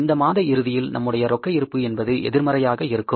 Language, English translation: Tamil, At the end of the month our total balance will be negative